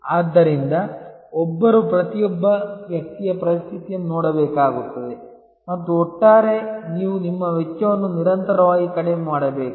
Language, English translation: Kannada, So, one will have to look at each individual situation and, but overall you must continuously lower your cost